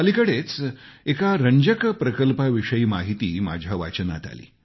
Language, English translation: Marathi, Recently I was reading about an interesting project